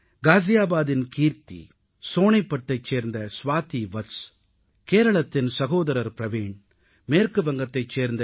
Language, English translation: Tamil, Kirti from Ghaziabad, Swati Vats from Sonepat, brother Praveen from Kerala, Dr